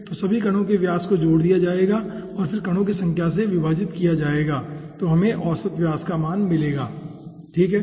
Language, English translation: Hindi, okay, so all the particle diameters will be added up and then divided by the number of particles